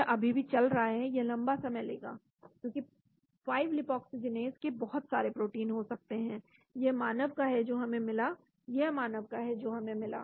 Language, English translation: Hindi, it is still running it will take a long time, because there could be a lot of proteins of 5 lipoxygenase, this is from human which we got, this is from human which we got